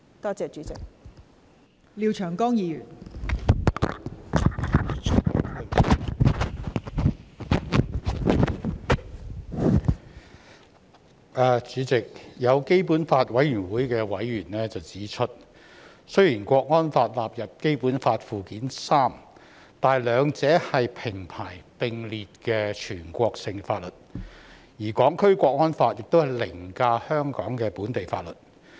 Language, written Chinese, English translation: Cantonese, 代理主席，有基本法委員會的委員指出，雖然《港區國安法》納入《基本法》附件三，但兩者是平排並列的全國性法律，而《港區國安法》凌駕香港的本地法律。, Deputy President some members of the Basic Law Committee have pointed out that though the National Security Law is listed in Annex III to the Basic Law both laws are national laws with equal footings and the National Security Law overrides the local laws of Hong Kong